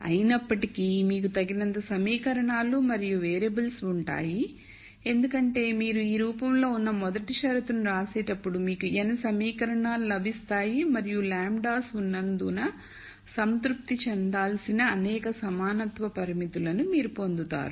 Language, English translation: Telugu, However, you will have enough equations and variables because when you write the first condition which is of this form you will get the n equations and you will get as many equality constraints that need to be satisfied as there are lambdas